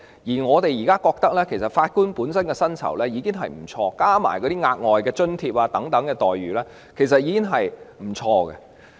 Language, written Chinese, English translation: Cantonese, 而我們認為，法官目前的薪酬已經不錯，加上額外津貼等，其待遇已經很不錯。, We believe the current remuneration of Judges is quite good already and they are rather well - remunerated when additional allowances etc . are also taken into account